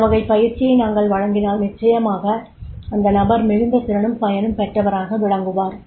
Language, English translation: Tamil, If we provide this type of the training, then definitely the person will be more efficient and effective is there